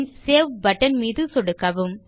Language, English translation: Tamil, And then click on the Save button